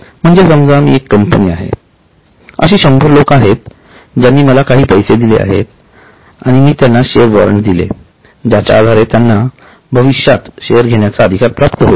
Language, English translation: Marathi, That means suppose I am a company there are 100 people who have paid me some money and I have issued them a warrant which gives them a right to get share in future